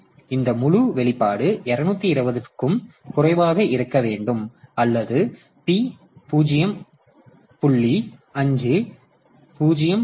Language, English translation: Tamil, So, this whole expression should be less than 220 or it gives rise to the equation that p should be less than 0